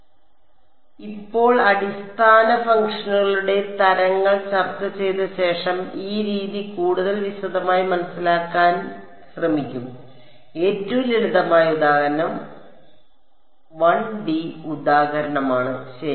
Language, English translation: Malayalam, So, now having discussed the kinds of basis functions, we will look at we will try to understand this method in more detail and the simplest example is a 1D example ok